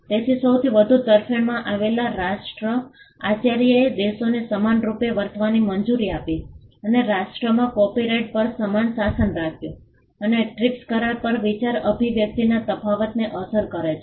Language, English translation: Gujarati, So, the most favoured nation principal allowed countries to be treated equally and to have a similar regime on copyright across nations and the TRIPS agreement also gives effect to the idea expression distinction